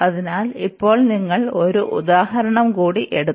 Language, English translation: Malayalam, So, now you will take one more example